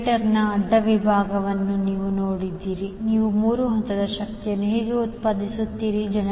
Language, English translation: Kannada, So, if you see the cross section of the generator, how you generate the 3 phase power